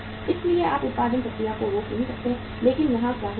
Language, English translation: Hindi, So you cannot stop the production process but here what is happening